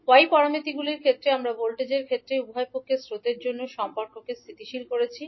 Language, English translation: Bengali, While in case of y parameters we stabilize the relationship for currents at both sides in terms of voltages